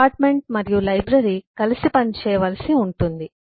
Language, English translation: Telugu, the department and library has to function together